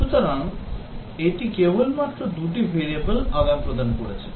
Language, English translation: Bengali, So it has just interchanged the two variables that were expected